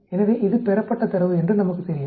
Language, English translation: Tamil, So, we know this is the observed data